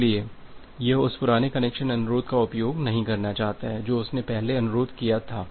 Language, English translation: Hindi, So, it do not want to use that old connection request that it has requested earlier